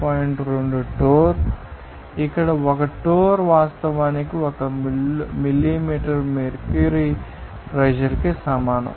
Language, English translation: Telugu, 2 torr here 1 torr is actually equaled to 1 millimeter mercury pressure